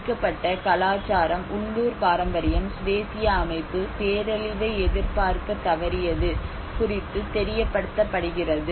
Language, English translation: Tamil, A victim culture is made aware of the failure of local, traditional, indigenous system to either anticipate the disaster